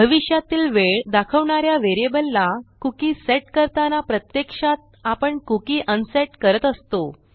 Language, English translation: Marathi, Now by setting the cookie to this variable which represents a time in the future, we are actually unsetting the cookie